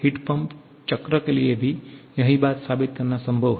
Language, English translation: Hindi, It is possible to prove the same thing for a heat pump cycle also